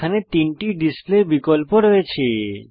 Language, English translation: Bengali, There three display options here